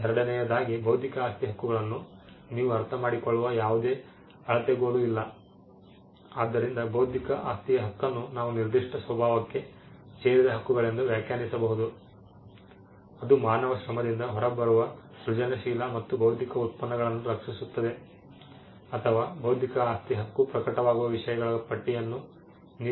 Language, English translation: Kannada, So, we could come up with the definition of intellectual property right either as rights which belong to a particular nature which protects creative and intellectual products that come out of human labour or you could have a list of things on which an intellectual property right may manifest